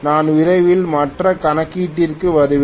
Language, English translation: Tamil, I will come back to the other calculation shortly